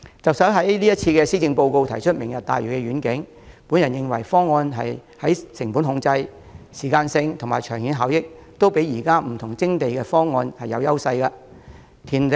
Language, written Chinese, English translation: Cantonese, 特首在今年的施政報告中提出"明日大嶼願景"，我認為該方案在成本控制、時間性和長遠效益方面，均勝於各項現有的徵地方案。, The Chief Executive announced the Lantau Tomorrow Vision in this years Policy Address . I consider the proposal better than the existing land acquisition proposals in terms of cost control time frame and long - term benefits